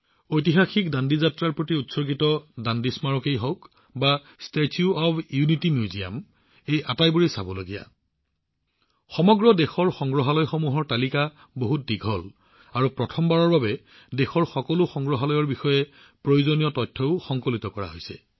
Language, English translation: Assamese, Whether it is the Dandi Memorial dedicated to the historic Dandi March or the Statue of Unity Museum,… well, I will have to stop here because the list of museums across the country is very long and for the first time the necessary information about all the museums in the country has also been compiled